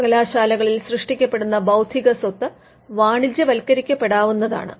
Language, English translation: Malayalam, The intellectual property rights that are created in the universities could be commercialized